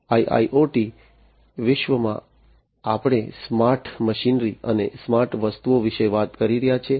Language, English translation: Gujarati, So, in the IIoT world we are talking about smart machinery, smart objects, smart physical machinery